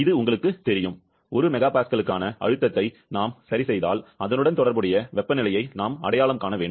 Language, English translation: Tamil, You know this, like if we just fix of the pressure for 1 mega Pascal, we have to identify the corresponding temperature